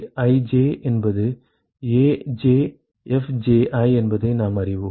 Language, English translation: Tamil, We know that AiFij is AjFji